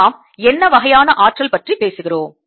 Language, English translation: Tamil, this is a kind of energy we are talking about